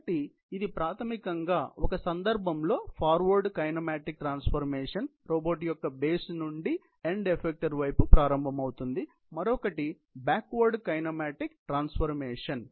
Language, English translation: Telugu, So, it is basically in one case, a forward kinematic transformation, starting from the base of the robot towards the end effector, and another is the backward kinematic transformation